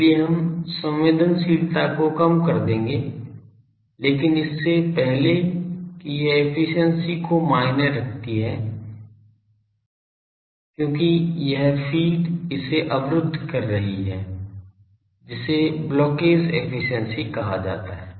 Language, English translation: Hindi, So, that we will reduce the sensitivity, but before that this efficiency that will be mattered because this feed is blocking this that is called blockage efficiency